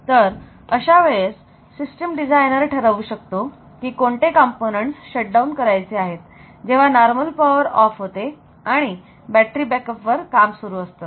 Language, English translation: Marathi, So, that way this system designer can decide like what are the components that needs to be shut down when the normal power goes off and it is on the battery backup